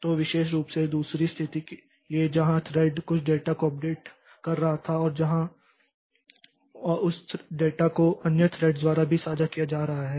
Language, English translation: Hindi, So, particularly for the second situation where the thread was updating some data and where you know on some and that that data is being shared by other threads as well